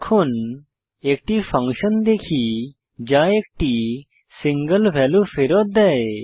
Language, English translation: Bengali, Now, let us see a function which returns multiple values